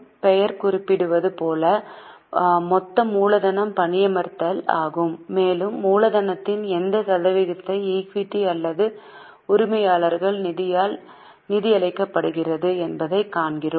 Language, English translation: Tamil, As the name suggests, the total capital employed is the denominator and we see what percentage of capital employed is being funded by the equity or by the owner's fund